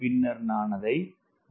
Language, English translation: Tamil, and then i divide it by w so i get t by w